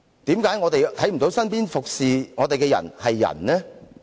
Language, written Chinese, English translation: Cantonese, 為何我們看不到身邊服務我們的人是人呢？, Why can we not see that the people who are serving us are human beings?